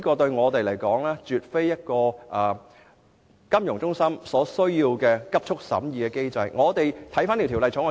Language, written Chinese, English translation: Cantonese, 因此，香港作為金融中心絕對無須加快審議本《條例草案》。, For this reason there is absolutely no need for Hong Kong as a financial centre to expedite the examination of the Bill